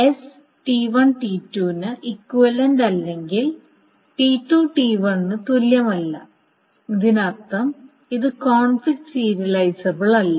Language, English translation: Malayalam, So that means that S and T1, T2 are equivalent, that means S is conflict serializable